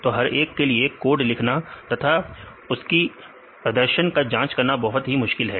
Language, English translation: Hindi, So, it is very difficult to write a code for each one of them and then check the performance